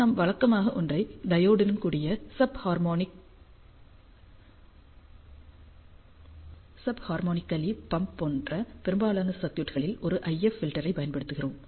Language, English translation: Tamil, And we typical use ah an IF filter in most of the circuits like single diode as a sub harmonical pump